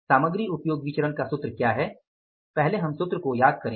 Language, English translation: Hindi, In the material usage variance what is the formula, recall the formula first